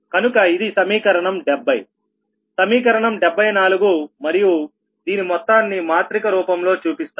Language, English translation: Telugu, this is equation seventy three in matrix form